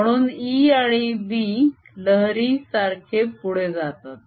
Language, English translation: Marathi, so a and b propagate like a wave